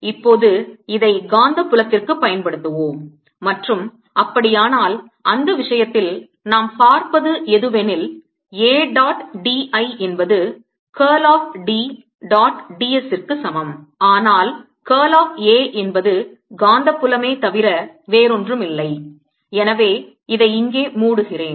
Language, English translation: Tamil, let us now apply this to the magnetic field and in that case what we will see is that a dot d l is equal to curl of a dot d s, but curl of a is nothing but the magnetic field and therefore this s let me enclose this here